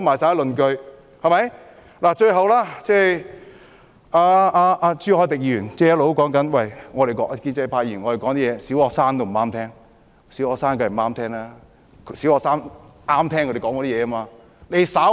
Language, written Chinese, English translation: Cantonese, 最後，朱凱廸議員指建制派議員的說話，連小學生也不喜歡聽，因為小學生只喜歡聽他們的說話。, Finally Mr CHU Hoi - dick has alleged that even primary students do not like hearing pro - establishment Members speak for primary students only like hearing remarks made by him and others